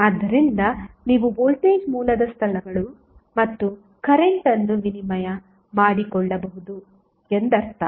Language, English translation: Kannada, So, that means that you can exchange the locations of Voltage source and the current